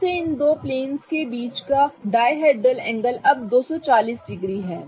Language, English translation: Hindi, , the dihedral angle between these two planes is now to 40 degrees